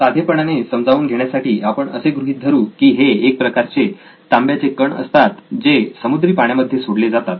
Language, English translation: Marathi, For simplicity sake let’s assume that these are copper particles which are let off into the seawater